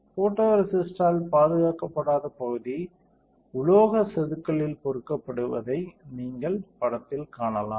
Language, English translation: Tamil, You can see in the figure the area that was not protected by photoresist will get etched in the metal etchant